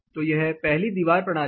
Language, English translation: Hindi, This will be wall system 1